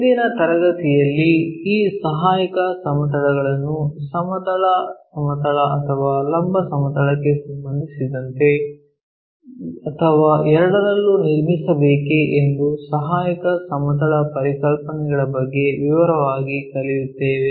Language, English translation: Kannada, In today's class we will learn in detail about our auxiliary plane concepts whether these auxiliary planes has to be constructed with respect to horizontal plane or vertical plane or on both